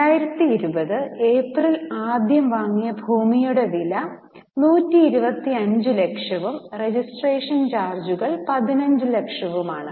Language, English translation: Malayalam, The cost of land purchased on 1st April 2020 is 125 lakhs and registration charges are 15 lakhs